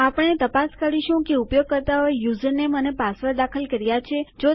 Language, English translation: Gujarati, We need to check if the users have entered the username and the password